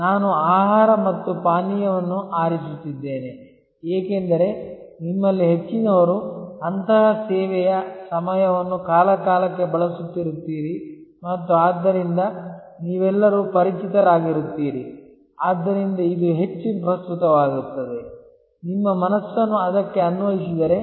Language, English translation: Kannada, I am choosing food and beverage, because most of you will be using such service time to time and so you will all be familiar, so it will become more relevant; if you apply your mind to it